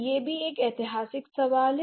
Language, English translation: Hindi, So, that is also a historical question